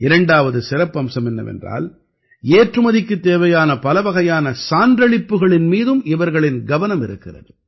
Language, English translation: Tamil, The second feature is that they are also focusing on various certifications required for exports